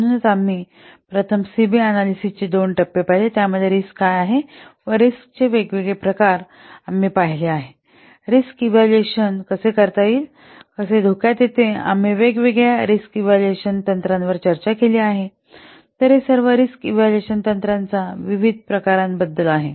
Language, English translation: Marathi, So, we have seen that different what first we have seen the two phases of CB analysis, then we have seen what is risk different types of risks and how the risks how the risks can be evaluated we have discussed different risk evaluation techniques so this is about the different types of risk evaluation techniques these are the references we have taken and thank you very much